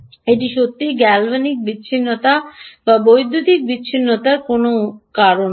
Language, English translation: Bengali, this is not really either galvanic isolation or any of the ah electrical isolation